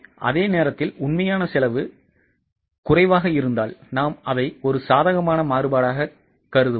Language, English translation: Tamil, Same way if actual cost is lesser, we will consider it as a favorable variance